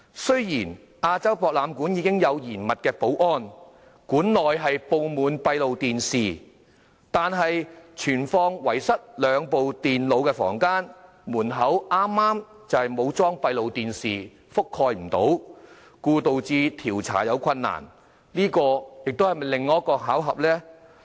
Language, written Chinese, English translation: Cantonese, 雖然亞洲博覽館的保安嚴密，館內布滿閉路電視，但存放遺失兩部電腦的房間門口剛好沒有裝上閉路電視，無法覆蓋，導致調查困難，這是否又是另一個巧合呢？, Despite the strict security at the AsiaWorld - Expo where the site is under heave surveillance the close - circuit television cameras were coincidentally not able to cover the entrance of the room in which the two lost computers were stored causing difficulties to the investigation . Was this another coincidence?